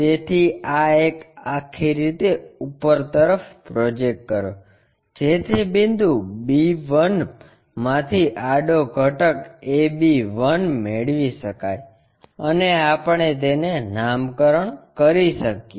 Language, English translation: Gujarati, So, project this one all the way up to get horizontal component a b 1 from point b 1 and name it one somewhere we are going to name it